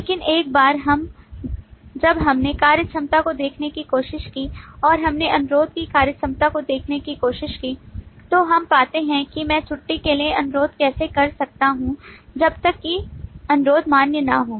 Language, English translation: Hindi, But once we tried to look at the functionality, and we tried to look at the functionality of request approve, then we find that how can I request for a leave unless that request is a valid one